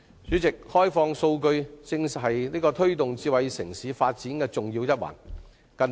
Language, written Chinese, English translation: Cantonese, 主席，開放數據是推動智慧城市發展的重要一環。, President opening up data is an important link in promoting smart city development